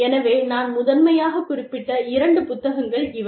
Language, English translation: Tamil, So, these are the two books, that i have referred to, primarily